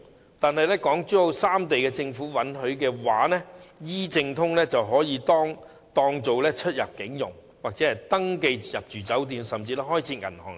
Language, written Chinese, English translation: Cantonese, 不過，假如港珠澳三地政府允許 ，"E 證通"便可以當作出入境、登記入住酒店或開設銀行之用。, But with the permission of the Governments in Hong Kong Zhuhai and Macao the Tencent e - pass can be used for immigration clearance hotel check - in and opening bank accounts